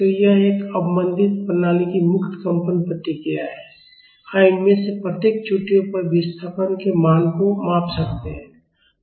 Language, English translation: Hindi, So, this is a free vibration response of an under damped system we can measure the value of the displacement at each of these peaks